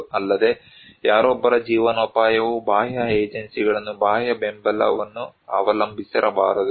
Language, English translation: Kannada, Also, someone's livelihood should not depend on external agencies, external support